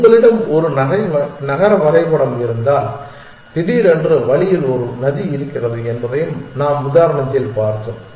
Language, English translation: Tamil, We also saw in the example that if you have if you have a city map and suddenly there is a river on the way